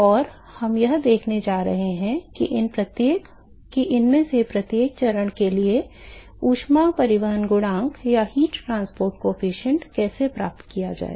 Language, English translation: Hindi, And we are going to see how to capture the heat transport coefficient for each of these phases